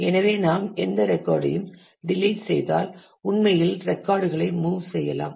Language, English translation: Tamil, So, if we delete any record then we can actually move the records